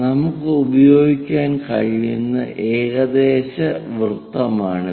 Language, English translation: Malayalam, 9 mm this is the approximate circle what we can use